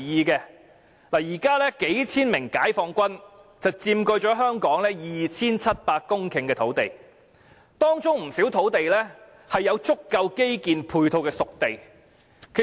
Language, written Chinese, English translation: Cantonese, 現時數千名解放軍佔據了香港 2,700 公頃的土地，當中不少土地是有足夠基建配套的"熟地"。, Nowadays several thousand members of the Peoples Liberation Army have occupied an area of some 2 700 hectares in Hong Kong and many of such sites are spade ready sites with adequate supporting infrastructure